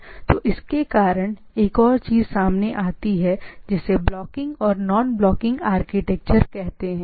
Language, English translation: Hindi, So, there from there are another type of things come up that is blocking architecture and non blocking architecture